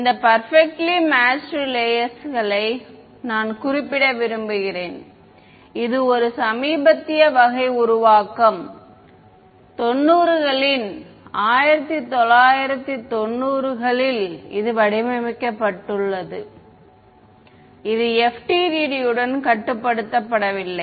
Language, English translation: Tamil, One thing I want to mention this perfectly matched layers, it is a recent sort of formulation 90’s 1990’s is been it was formulated it is not restricted to FDTD